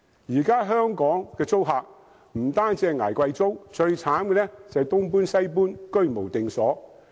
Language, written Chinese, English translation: Cantonese, 現時香港的租客不單要捱貴租，最慘的是要"東搬西搬"、居無定所。, Expensive rental is not the only concern for tenants in Hong Kong because they must also be prepared to move house constantly